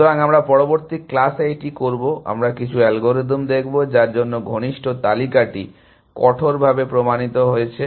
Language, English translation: Bengali, So, we will do that in the next class, we will look at some algorithms for which drastically proven the close list